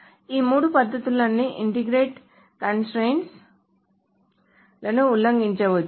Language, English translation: Telugu, So all of these three techniques can violate certain integrity constraints